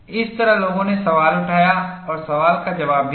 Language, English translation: Hindi, This is the way people raised the question and answered the question also